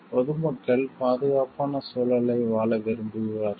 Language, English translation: Tamil, The common people would want to live a safe environment